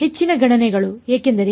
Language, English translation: Kannada, More computations because